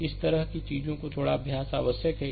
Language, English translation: Hindi, So, a little bit practice is necessary for such kind of thing